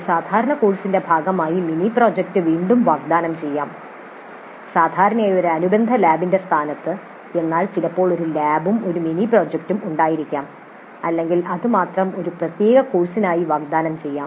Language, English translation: Malayalam, The mini project again can be offered as a part of a regular course usually in the place of an associated lab but sometimes one can have a lab as well as a mini project or it can be offered as a separate course by itself